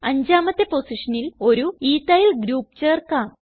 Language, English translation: Malayalam, Let us add an Ethyl group on the fifth position